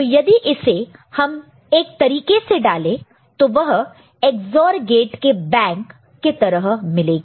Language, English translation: Hindi, So, if you just put it into the form of a you know bank of XOR gate you can get it in this manner